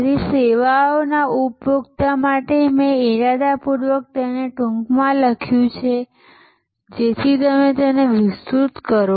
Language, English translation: Gujarati, So, to the service consumer I have just deliberately written in it short, so that you will expand it